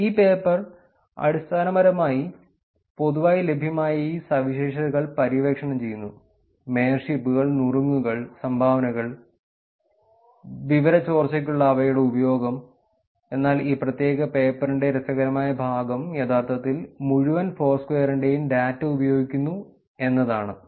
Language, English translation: Malayalam, This paper basically explores these publicly available features – mayorships, tips, dones, and their usage for informational leakage, but interesting part of this particular paper is that it actually uses the data of entire Foursquare